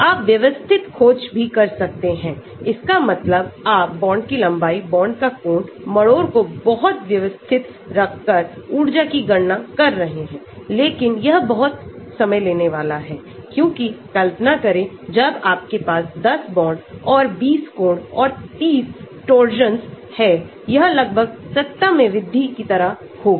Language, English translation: Hindi, You can also have systematic search, that means you change bond length, bond angle, torsion very systematically keep on calculating the energies but that is going to be very time consuming because, when you have say 10 bonds and 20 angles and 30 torsions imagine, it will be in almost like raise to the power